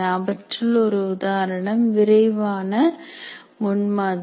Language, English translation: Tamil, We'll only list, for example, rapid prototyping